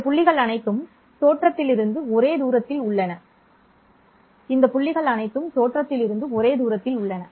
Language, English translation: Tamil, All these points are at the same distance from the origin